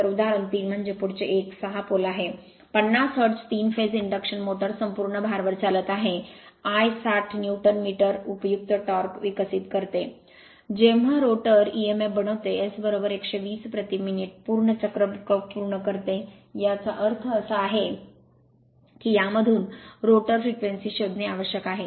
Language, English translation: Marathi, So, example 3 so a next one is a 6 pole, 50 hertz, 3 phase induction motor running on full load develops a useful torque of 160 Newton metre; when the rotor e m f makes 120 complete cycles per minute right; that means, it is you have to find out you have to find out the rotor frequency from this one